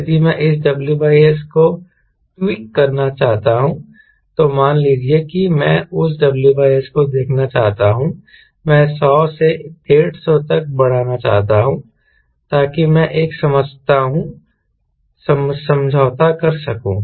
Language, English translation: Hindi, if i want to tweak this w by s, suppose i want to see that w by s i want to increase from hundred to one fifty so that i can do a compromise